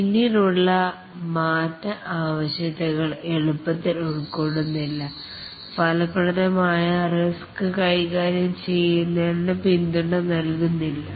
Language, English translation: Malayalam, Does not easily accommodate later change requirements, does not provide support for effective risk handling